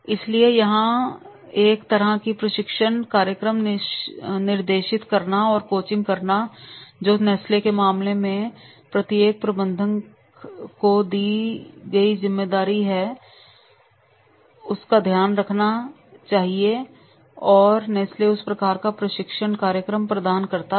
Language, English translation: Hindi, So, here the guiding and coaching is the sort of the training program, which is the responsibility has been given to the each manager in case of the Nesley and Nesley provides that type of the training program